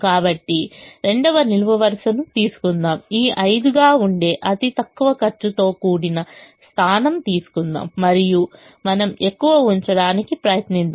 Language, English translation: Telugu, so take the second column, take the least cost position, which happens to be this five, and try to put as much as you can